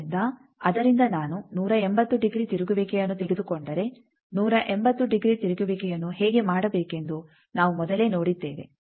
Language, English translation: Kannada, So, from that if I take a 180 degree rotation we have earlier seen how to do 1 eighty degree rotation